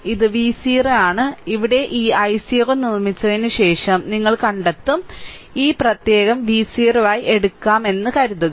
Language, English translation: Malayalam, It is V 0 and here it is after making this i 0 you find out; suppose, this suffix should be taken as V 0 right